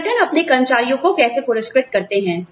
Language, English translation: Hindi, How do organizations, reward their employees